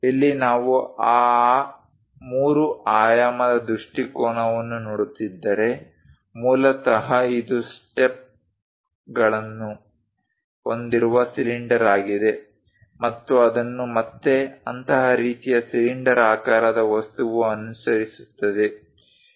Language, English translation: Kannada, Here, if we are looking at that 3 dimensional perspective, basically it is a cylinder having steps and that is again followed by such kind of cylindrical object